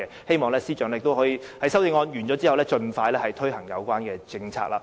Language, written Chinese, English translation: Cantonese, 希望司長在修正案審議完畢後，盡快推行有關政策。, I hope that the committee stage the Financial Secretary can take forward the measure as early as possible